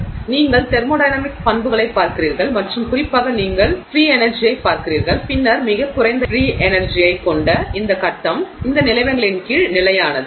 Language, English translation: Tamil, So, you look at thermodynamic properties and particularly you look at free energy and then the phase which has the lowest free energy is the one that is stable under those conditions